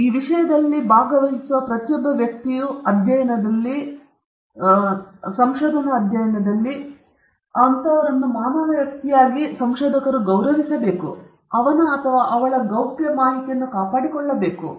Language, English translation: Kannada, Every individual human being who participates in this subject, in the study, in the research study as subject, has to be respected as a human person; his or her privacy should be maintained